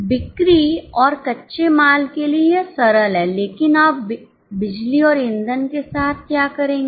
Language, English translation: Hindi, For sales and raw material it is simple but what will you do with power and fuel